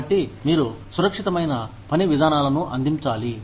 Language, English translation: Telugu, So, you need to provide, safe work procedures